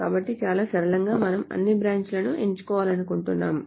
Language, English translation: Telugu, So very simply we want to select all branches